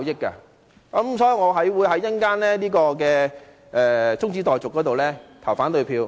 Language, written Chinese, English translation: Cantonese, 因此，我稍後會對中止待續議案投反對票。, Such being the case I will vote against this adjournment motion later